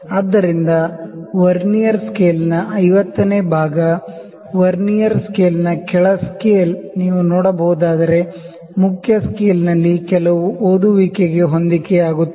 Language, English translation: Kannada, So, the 50th division of the Vernier scale, the lower scale that is a Vernier scale is matching with some reading on the main scale if you can see